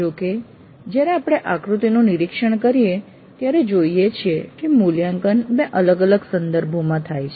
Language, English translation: Gujarati, However, when we look into this diagram, we see that evaluate occurs in two different contexts